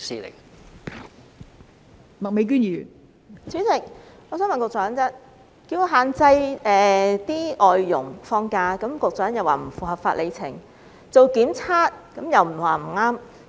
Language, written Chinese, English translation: Cantonese, 代理主席，要限制外傭放假，局長表示不符合法、理、情，強制檢測又說不可行。, Deputy President in respect of restricting FDHs on rest days the Secretary said it is not in line with the law justification and sense . In respect of compulsory testing he said it is not feasible